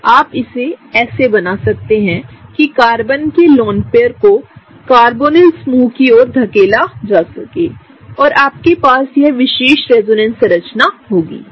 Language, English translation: Hindi, Enolate again you can draw it such that the Carbon lone pair can be pushed towards the carbonyl group, and you have this particular resonance structure, right